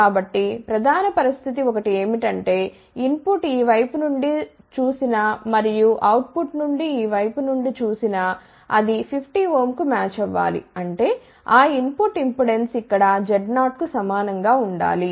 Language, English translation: Telugu, So, one of the main condition is that the input looking from this side and output looking from this side should be matched to 50 ohm so; that means, input impedance here should be equal to Z 0